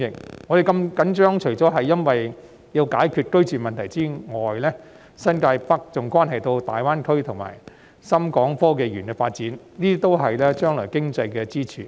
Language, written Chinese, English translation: Cantonese, 我們如此緊張，不僅因為要解決居住問題，更因為新界北關乎大灣區及港深創新及科技園的發展，這些都是將來的經濟支柱。, We are so concerned about this not only because there is a need to resolve the housing problem but also because New Territories North is related to the development of GBA and HSITP which are all pillars of the economy in the future